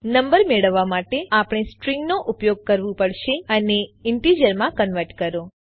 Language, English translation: Gujarati, To get the number, we have to use a string and convert it to an integer